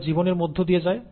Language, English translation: Bengali, They go through life, right